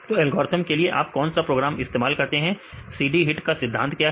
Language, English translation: Hindi, So, what is the program you use for the algorithm, what is the principle used CD HIT